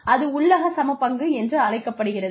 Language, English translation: Tamil, That is called internal equity